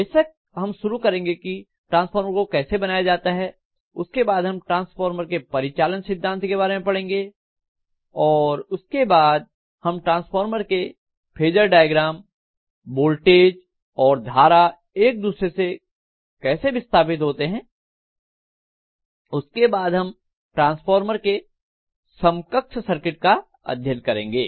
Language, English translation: Hindi, We will of course start with constructional details how the transformer is constructed then after doing that we would be looking at what is the principle of operation and then we will be actually looking at the phasor diagram of the transformer; how the voltages and currents are displaced from each other, then we will be looking at equivalent circuit of the transformer